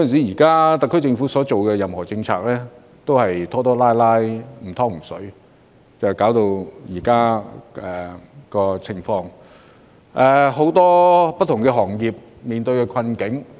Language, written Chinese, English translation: Cantonese, 現時，特區政府在施政方面，總是拖拖拉拉、"唔湯唔水"的，致使出現目前的困局。, At present the SAR Government has been without taking the most effective actions dragging its feet in its administration which has led to the present predicament